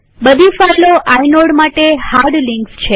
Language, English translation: Gujarati, All the files are hard links to inodes